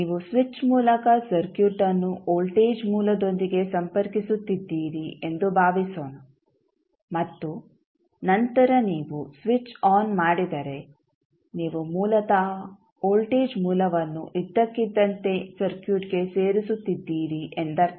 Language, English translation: Kannada, So, you suppose you are connecting the circuit with the voltage source through a particular switch and then you switch on the switch means you are basically adding the voltage source suddenly to the circuit